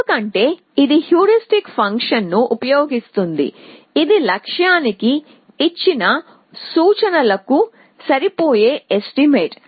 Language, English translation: Telugu, Because, it is using the heuristic function which is an estimate of given note to the goal essentially